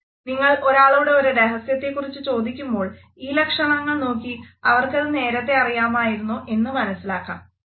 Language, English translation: Malayalam, If you are asking someone about a secret and they show either one of these faces, you can find out if they already knew